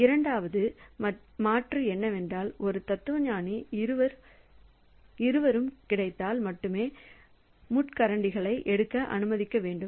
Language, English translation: Tamil, Then second alternative is that allow a philosopher to pick up the fox only if both are available